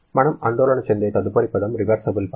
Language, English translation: Telugu, Next term that we are concerned about is reversible work